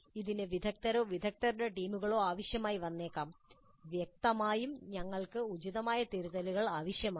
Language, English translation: Malayalam, So, this may require expert or teams of experts and obviously we need appropriate rubrics